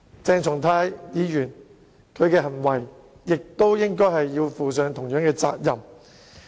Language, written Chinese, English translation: Cantonese, 鄭松泰議員亦同樣應為他的行為付上責任。, Similarly Dr CHENG Chung - tai should be held responsible for his conduct